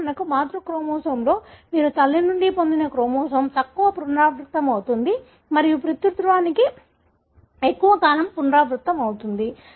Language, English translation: Telugu, You could for example, in the maternal chromosome, the chromosome you derived from mother would have a shorter repeat and the paternal would have a longer repeat